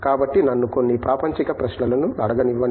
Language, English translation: Telugu, So, may be, some mundane questions let me ask you